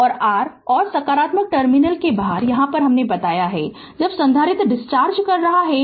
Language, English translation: Hindi, And your and out of the positive terminal I told you, when the capacitor is discharging